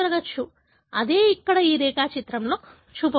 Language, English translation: Telugu, That is what is shown here in this diagram here